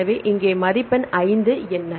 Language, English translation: Tamil, So, here what is the score 5